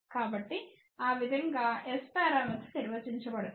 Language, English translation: Telugu, So, that is how S parameters are defined